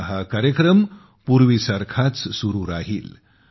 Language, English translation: Marathi, Now this series will continue once again as earlier